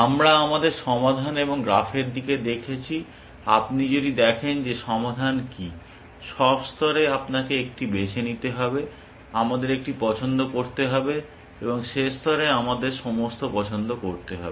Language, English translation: Bengali, We viewed our solution and and over graph, if you look at what on solution is, at all level you have to choose one, we have to make one choice, and at end level we have to make all choices